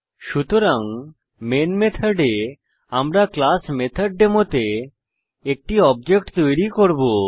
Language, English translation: Bengali, So inside the Main method, we will create an object of the classMethodDemo